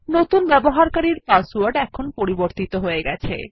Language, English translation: Bengali, Now our password for the new user is updated